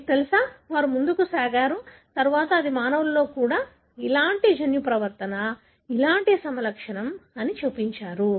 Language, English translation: Telugu, You know, they went ahead and then shown that it is similar gene mutation, similar phenotype in the humans as well